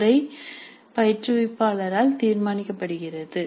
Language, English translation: Tamil, This is the pattern that is decided by the instructor